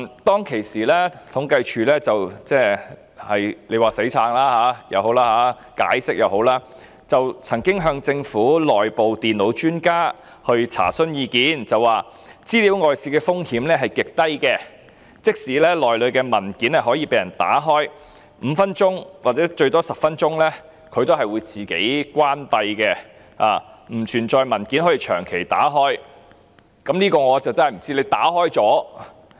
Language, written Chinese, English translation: Cantonese, 當時統計處表示——說是"死撐"也好，解釋也好——曾經向政府內部電腦專家查詢，所得的意見是資料外泄的風險極低，即使平板電腦內的文件可以被人打開，但平板電腦在5分鐘或最多10分鐘後便會自動關閉，不能長時間把文件打開。, Back then CSD indicated that―whether it was making a feeble defence or an explanation―they had sought advice from an internal expert of the Government who advised that the risk of data leakage was extremely low and even if the documents in the tablet computers could be opened the tablet computers would turn off automatically after five minutes or 10 minutes at most so the documents could not be opened for a long time